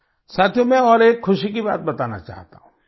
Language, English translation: Hindi, Friends, I want to share with you another thing of joy